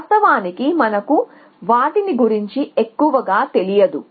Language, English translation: Telugu, In fact, we do not know them most of the time essentially